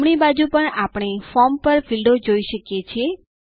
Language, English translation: Gujarati, On the right hand side we see fields on the form